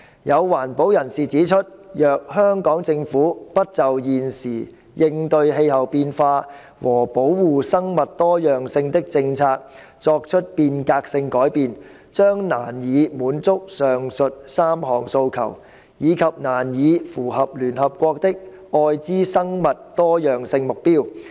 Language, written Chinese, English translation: Cantonese, 有環保人士指出，若香港政府不就現時應對氣候變化和保護生物多樣性的政策作出變革性改變，將難以滿足上述3項訴求，以及難以符合聯合國的《愛知生物多樣性目標》。, Some environmentalists have pointed out that if the Hong Kong Government does not make transformative changes to its current policies for addressing climate change and protecting biodiversity it can hardly satisfy the three aforesaid demands nor meet the UN Aichi Biodiversity Targets